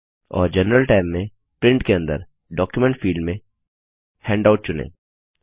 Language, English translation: Hindi, And in the General tab, under Print, in the Document field, choose Handout